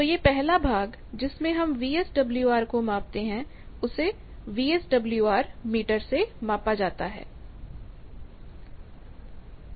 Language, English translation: Hindi, So, this first part; that means measurement of VSWR that is done by the VSWR meter